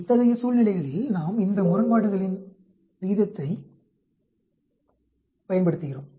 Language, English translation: Tamil, In such situations, we use this odds ratio